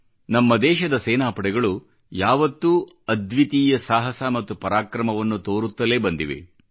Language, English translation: Kannada, Our armed forces have consistently displayed unparalleled courage and valour